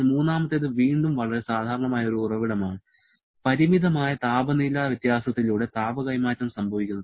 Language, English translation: Malayalam, But the third one is a very common source again, heat transfer through a finite temperature difference